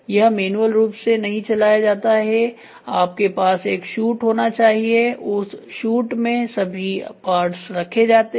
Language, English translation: Hindi, It is not manually fed you might have a shoot in that shoot all the parts are loaded